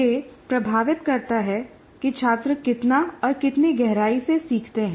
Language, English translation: Hindi, And also it influences how much and how deeply the students learn